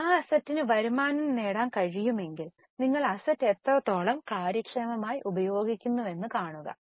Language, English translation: Malayalam, If that asset is able to generate the revenue, just see how efficiently you are using the asset